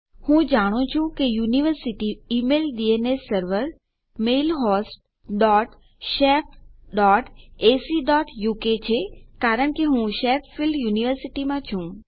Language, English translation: Gujarati, I know that my university email DNS server is mailhost dot shef dot ac dot uk because Im in Sheffield university